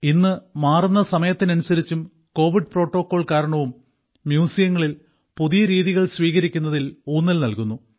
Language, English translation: Malayalam, Today, in the changing times and due to the covid protocols, emphasis is being placed on adopting new methods in museums